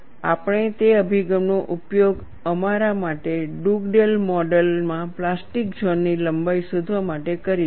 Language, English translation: Gujarati, We will use that approach for us to find out the plastic zone length in Dugdale model, you need that expression